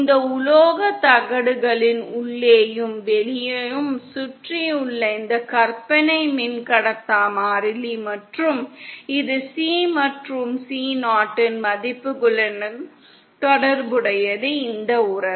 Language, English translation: Tamil, This imaginary dielectric constant that is surrounding the inside and outside of these metal plates and it is related to the values of C and C 0, with this relationship